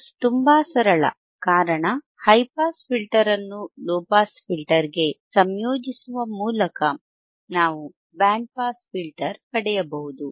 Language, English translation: Kannada, Because it is so simple that by integrating the high pass filter to the low pass filter we can get a band pass filter